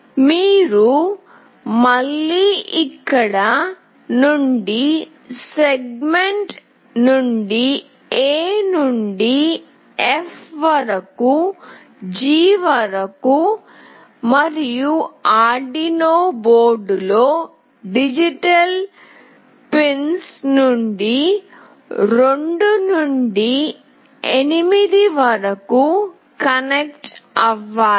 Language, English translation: Telugu, You have to again connect from segment here from A till F till G, and digital pins D2 to D8 on the Arduino board